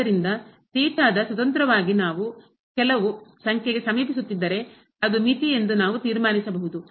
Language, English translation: Kannada, So, if the independently of theta we are approaching to some number, we can conclude that that is the limit